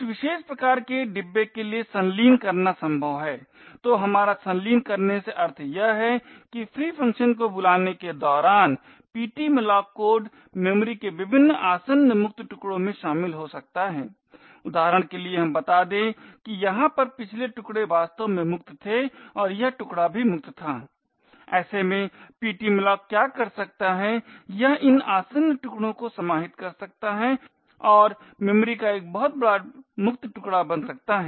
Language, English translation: Hindi, so what we mean by coalescing is that the ptmalloc code during the free function call could join various adjacent free chunks of memory, for example let us say that the previous chunk over here was actually free as well and this chunk to was also free, in such a case what ptmalloc can do is it can coalesce these adjacent chunks and form a much larger free chunk of memory